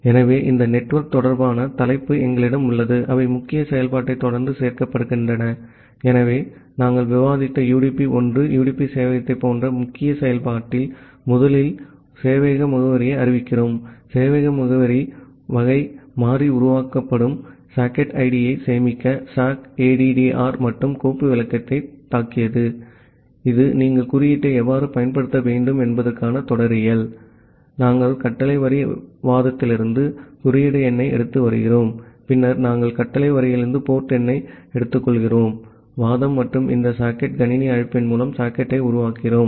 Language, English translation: Tamil, So, we have this network related header, which are being included followed by the main function so, in the main function similar to the UDP1, UDP server that we have discussed, we are declaring a the server address first, server address variable of type struck sockaddr in and file descriptor to store the socket id that will be created and this is the syntax that how you should use the code, we are taking the code number from the command line argument and then we are taking the port number from command line argument and we are creating the socket by this socket system call